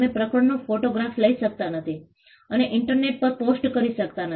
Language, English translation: Gujarati, You cannot take a photograph of the chapter and post it on the internet